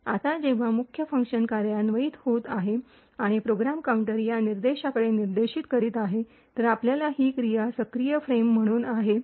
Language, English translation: Marathi, Now when the main function is executing and the program counter is pointing to this particular instruction, then we have this thing as the active frames